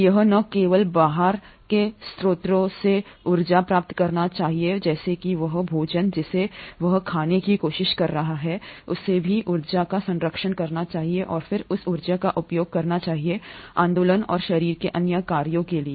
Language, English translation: Hindi, So it not only should acquire energy from outside sources such as the food which it is trying to eat, it should also conserve energy and then utilise that energy for movement and other body functions